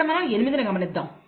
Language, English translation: Telugu, Let us look at 8 here